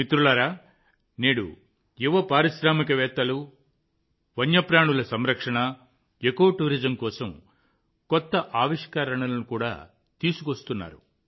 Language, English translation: Telugu, Friends, today young entrepreneurs are also working in new innovations for wildlife conservation and ecotourism